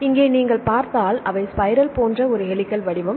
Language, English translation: Tamil, So, here if you see they are kind of a helical shape like a spiral shape